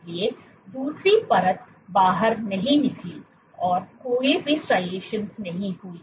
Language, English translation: Hindi, So, the second layer did not exit did not have any striations